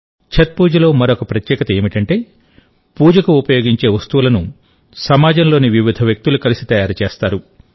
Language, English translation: Telugu, Another special thing about Chhath Puja is that the items used for worship are prepared by myriad people of the society together